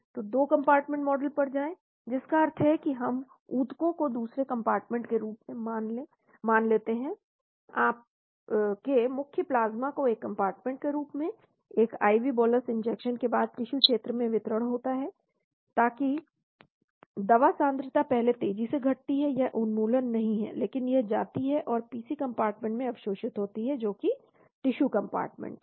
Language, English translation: Hindi, So go to 2 compartment model that means we assume tissues as another compartment, your main plasma as one compartment , after an IV bolus injection there is a distribution to the tissue region, so that the drug concentration decrease rapidly at first fast decrease, it is not the elimination, but it goes and gets absorbed into the PC compartment that is the tissue compartment